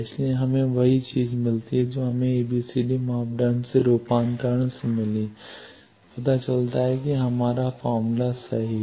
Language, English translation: Hindi, So, we get the same thing that we got from conversion from ABCD parameter that shows that our formula is correct